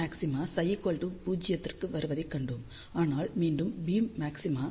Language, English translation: Tamil, We had seen that beam maxima comes for psi equal to 0, but again beam maxima comes when psi becomes equal to 2 pi